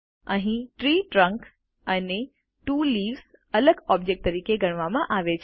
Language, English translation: Gujarati, Here the Tree trunk and the two Leaves are treated as separate objects